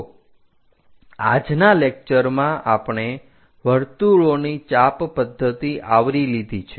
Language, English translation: Gujarati, So, in today's lecture, we have covered this arc of circles method